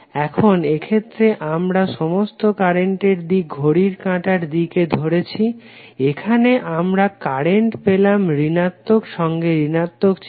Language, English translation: Bengali, Now in this case we have taken all the current direction as clockwise, here we have got current in negative with negative sign